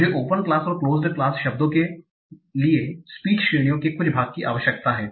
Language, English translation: Hindi, So I need some part of which categories for open class words, some categories for closed class words